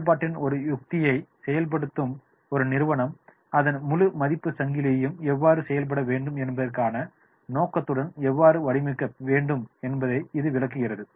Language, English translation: Tamil, It illustrates how an organization implementing a strategy of differentiation needs to design its entire value chain with the intent to be outstanding in every value activity that it performs